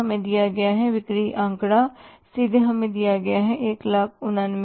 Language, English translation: Hindi, Sales figure given to us is directly given to us is 189,500